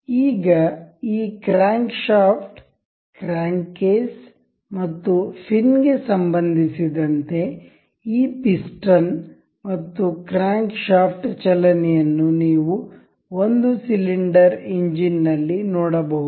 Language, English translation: Kannada, Now, you can see the motion of this piston and the crankshaft in relation with this crankshaft crank case and the fin as in a single cylinder engine